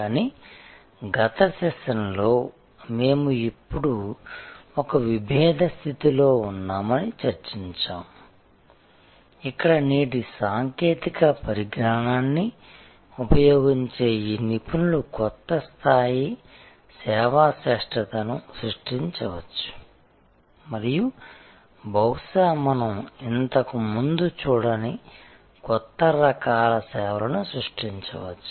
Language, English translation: Telugu, But, we discussed in the last session that we are now at an inflection point, where these experts using today's technologies can create a new level of service excellence and can perhaps create new types of services, which we had not seen before